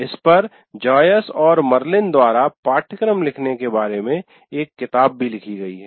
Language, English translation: Hindi, There is even a book written on this by Joyce and Marilyn about writing the syllabus